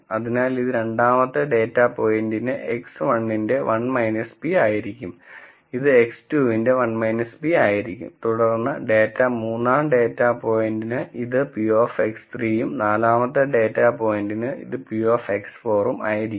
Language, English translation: Malayalam, So, this will be 1 minus p of X 1 for the second data point it will be 1 minus p of X 2, then for the data third data point it will be p of X 3 and for the fourth data point it will be p of X 4